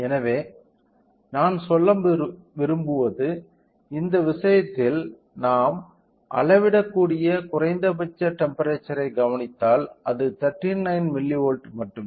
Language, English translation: Tamil, So, what I mean to say that in this case if we observe so, the minimum temperature that it can measure is only 39 milli volts